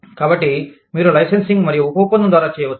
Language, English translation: Telugu, So, you could do it, through licensing and subcontracting